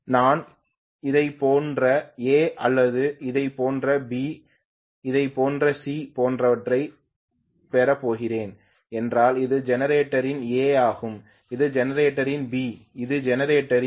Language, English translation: Tamil, Please think about it, if I am going to have A like this, B like this and C like this right, if I am going to have this is the A of the generator, this is the B of the generator, this is the C of the generator right